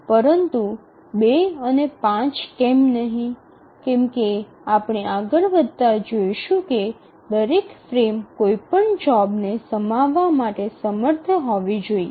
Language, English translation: Gujarati, But then why not 2, why not 5 as we proceed we will see that each frame must be able to accommodate at least I mean any job